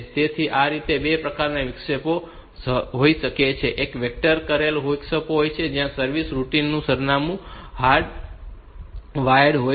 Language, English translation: Gujarati, So, this way there can be two types of interrupts; one is the vectored interrupts where the address of the service routine is hard wired